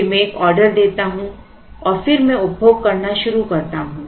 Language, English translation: Hindi, Then again I place an order and then I start consuming